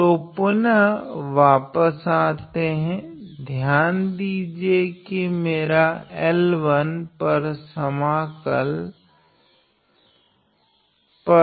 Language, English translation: Hindi, So, then coming back notice that my integral over L 1